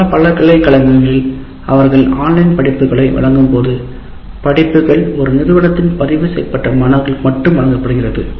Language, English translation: Tamil, In many universities when they offer online courses, the courses are confined to registered students of one institution